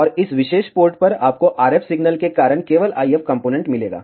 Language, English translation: Hindi, And at this particular port, you will get the IF component only because of the RF signal